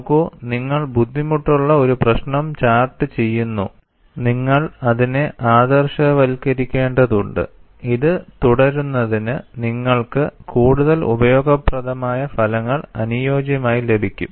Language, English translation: Malayalam, See, you are charting a difficult problem and you have to idealize it, so that you get some useful result for you to proceed further